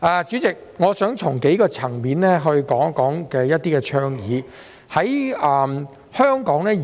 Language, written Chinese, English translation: Cantonese, 主席，我想從多個層面討論一些倡議。, President I would like to discuss some of the proposals from different perspectives